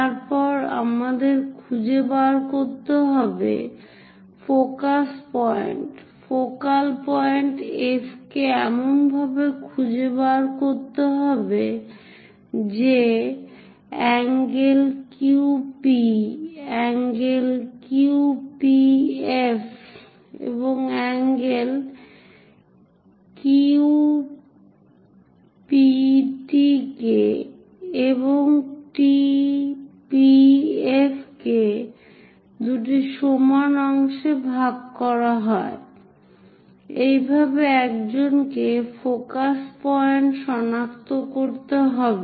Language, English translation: Bengali, Then we have to locate focus point, focal point F such a way that, angle Q P, angle Q P F is divided into two equal parts by angle Q P T and angle T P F; this is the way one has to locate focus point